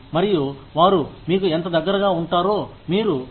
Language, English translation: Telugu, And, you see, how close they become to you